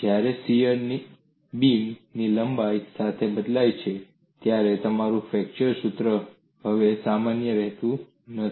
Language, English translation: Gujarati, When shear varies along the length of the beam, your flexure formula is no longer value